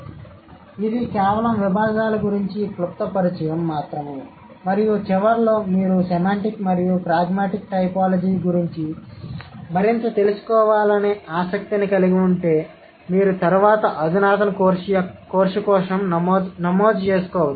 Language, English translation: Telugu, So, this is just a brief introduction about the disciplines and maybe in a long run if you are more interested to know more about semantic and pragmatic typology, you can register for an advanced course later